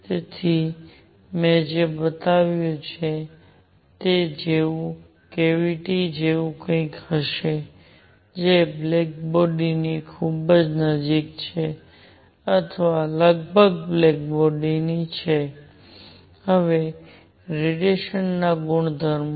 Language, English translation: Gujarati, So, a cavity like the one that I have shown is something which is very very close to black body or roughly a black body; now properties of radiation